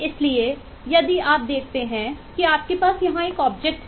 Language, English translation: Hindi, so, if you look at, you have an object here and eh, I think this is this object